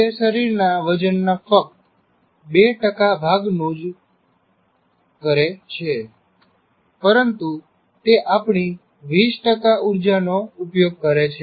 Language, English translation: Gujarati, It represents only 2% of the body weight, but it consumes nearly 20% of our calories